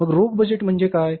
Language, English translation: Marathi, So, what is the cash budget